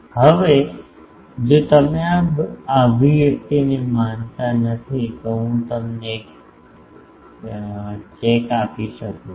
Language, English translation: Gujarati, Now, if you do not believe this expression, I can give you a check